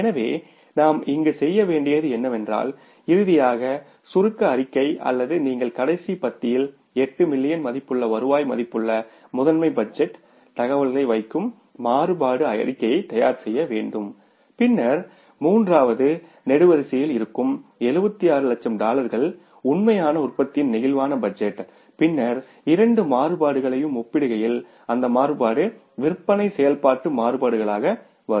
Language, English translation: Tamil, So, what we have to do here is while preparing that means the finally the summary statement or the variance statement you will put in the last column the master budget information that is 8 million worth of the revenue then in the third column there will be the flexible budget for the actual level of production that is the 76 lakh dollars and then comparing the two variances those variances will come up as sales activity variances